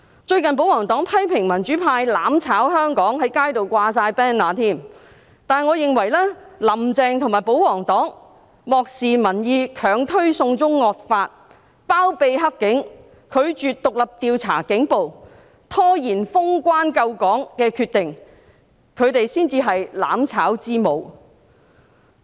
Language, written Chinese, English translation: Cantonese, 最近保皇黨批評民主派"攬炒"香港，在街上掛滿 banner， 但我認為"林鄭"和保皇黨漠視民意，強推"送中惡法"，包庇黑警，拒絕獨立調查警暴，拖延封關救港的決定，他們才是"攬炒之母"。, Recently the royalists criticized the democrats for causing mutual destruction in Hong Kong and putting up banners territory - wide . However in my view Carrie LAM and the royalists have ignored public opinion tried to push through the evil extradition to China Bill condoned dirty cops refused to have an independent probe into police brutality and delayed in making a decision to close borders to save Hong Kong . These people are truly the mothers of mutual destruction